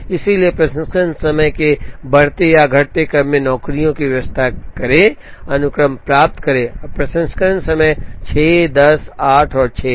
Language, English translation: Hindi, So, arrange the jobs in the increasing or non decreasing order of processing times to get the sequence, now the processing times are 6 10 8 and 6